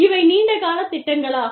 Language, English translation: Tamil, These are long term projects